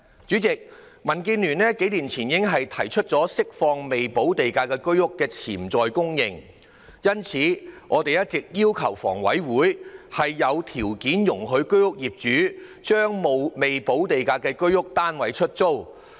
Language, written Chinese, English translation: Cantonese, 主席，民建聯數年前已提出釋放未補地價居屋的潛在供應，因此，我們一直要求香港房屋委員會有條件容許居屋業主將未補地價的居屋單位出租。, President a few years ago DAB already proposed releasing the potential supply of Home Ownership Scheme HOS flats with premium unpaid . Hence we have all along requested the Hong Kong Housing Authority HA to conditionally allow owners of HOS flats to lease out such flats